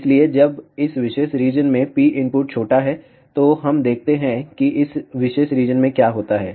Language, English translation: Hindi, So, when P input is small in this particular region, so let us see what happens in this particular region